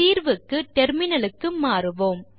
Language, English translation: Tamil, Switch to the terminal for solution